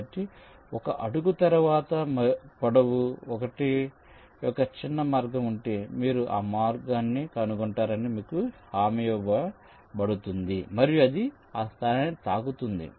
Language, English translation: Telugu, so if a shortest path of length l exist after l steps, you are guaranteed to find that path and it will touch that point